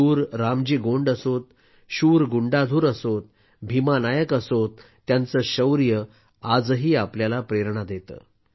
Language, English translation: Marathi, Be it Veer RamJi Gond, Veer Gundadhur, Bheema Nayak, their courage still inspires us